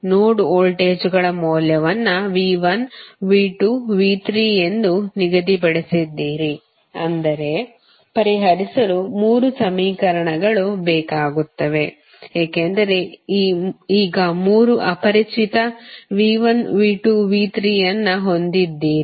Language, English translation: Kannada, You have assign the value of node voltages as V 1, V 2 and V 3 that means you need three equations to solve because you have now three unknowns V 1, V 2 and V 3